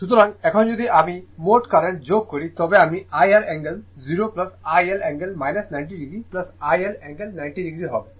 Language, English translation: Bengali, So, now if you add the total current I will be IR angle 0 plus i L angle minus 90 degree plus i L angle 90 degree